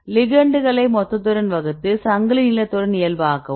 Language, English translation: Tamil, Calculate total divided by ligand normalize with the chain length